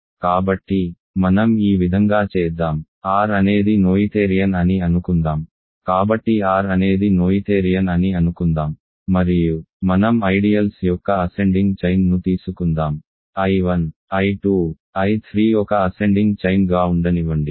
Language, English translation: Telugu, So, let us do this direction, suppose R is noetherian; so let us assume that R is noetherian and let us take a an ascending chain of ideals, let I 1, I 2, I 3 be an ascending chain